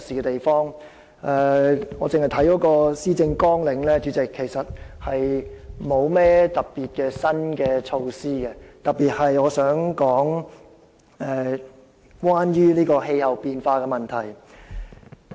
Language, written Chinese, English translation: Cantonese, 單從施政綱領所見，特首其實沒有提出甚麼特別的新措施，尤其是在我想談論的氣候變化問題方面。, If we read through the Policy Agenda we can see that the Chief Executive has actually proposed no new initiative in this respect especially on the issue of climate change which I am going to talk about